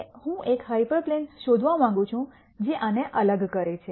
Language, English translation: Gujarati, Now, I want to find a hyperplane which separates this